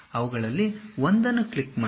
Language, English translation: Kannada, Click one of them